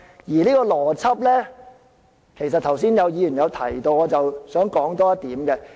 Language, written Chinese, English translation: Cantonese, 而這個邏輯剛才也有議員提到，我想再跟進一點。, This logic has been pointed out by some Members and I would like to speak further on it